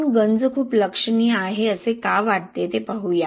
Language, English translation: Marathi, Let us look at why we think that corrosion is very significant